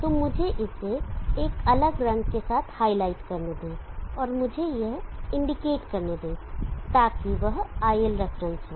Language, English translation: Hindi, So let me highlight that with a different colour and let me indicate that, so that is ilref